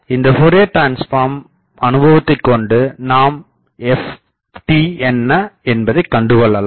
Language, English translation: Tamil, So, from our knowledge of Fourier transform, I can now find ft